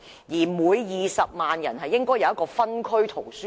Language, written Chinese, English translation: Cantonese, 此外，每20萬人口亦應有一間分區圖書館。, In addition one district library should be provided for every 200 000 persons